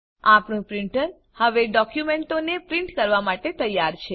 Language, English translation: Gujarati, Our printer is now ready to print our documents